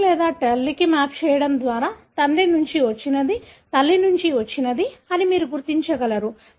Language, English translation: Telugu, By mapping it to either father or mother, you will be able to identify which one had come from father, which one had come from mother